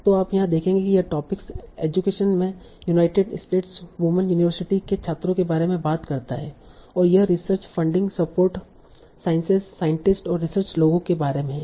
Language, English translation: Hindi, So you will see here this topic talks about United States, women, universities, students in education, and it's about research funding support, sciences, scientists, and research people